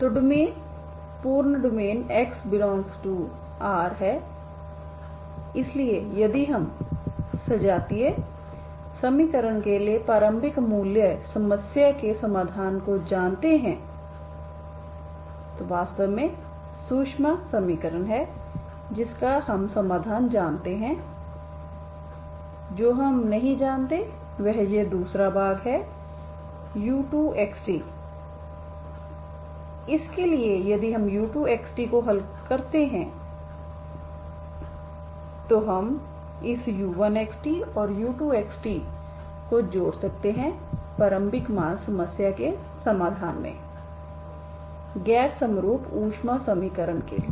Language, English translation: Hindi, So that is the domain is full domain x belongs to full R so what you have is the full R, so if we know the solution for the initial value problem for the homogeneous equation so that is actually the heat equation that we know that is the solution and what we do not know is this second part so u2 we do not know so if we solve this u2 we can combine this u1 and u2 to the solution of the initial value problem for the non homogeneous heat equation